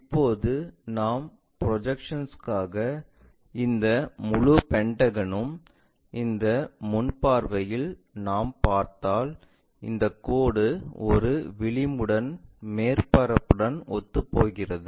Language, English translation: Tamil, Now, the projection if we are drawing this entire pentagon in this view front view if we are looking from that this line coincides with that one edge as a surface